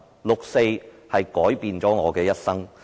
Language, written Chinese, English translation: Cantonese, 六四改變了我的一生。, The 4 June incident has changed my life